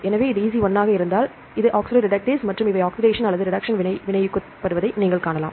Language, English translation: Tamil, So, if it is EC 1 its oxidoreductase is and you can see it catalyze this oxidation or reduction reaction